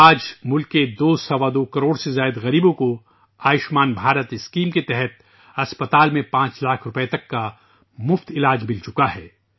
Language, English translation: Urdu, Today, more than two and a half crore impoverished people of the country have got free treatment up to Rs 5 lakh in the hospital under the Ayushman Bharat scheme